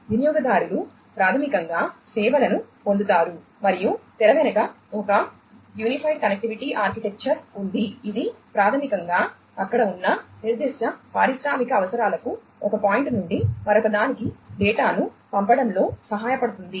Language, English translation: Telugu, Users basically get the services and behind the scene there is an unified connectivity architecture, that basically helps in sending data from one point to another catering to the specific industrial requirements that are there